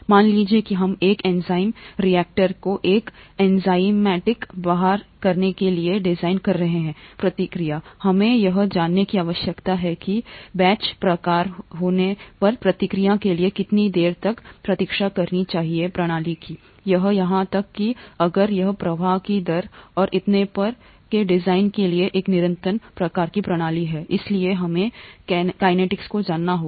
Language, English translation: Hindi, Suppose we are designing an enzyme reactor to carry out an enzymatic reaction, we need to know how long to wait for the reaction to take place if it is a batch kind of system, or even if it’s a continuous kind of a system for design of flow rates and so on and so forth, we need to know the kinetics